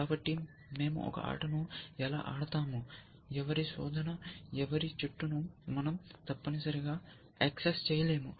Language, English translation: Telugu, So, how do we play a game, whose search whose tree we cannot access essentially